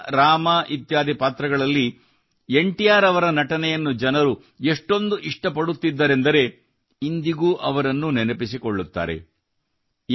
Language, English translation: Kannada, People liked NTR's acting in the roles of Bhagwan Krishna, Ram and many others, so much that they still remember him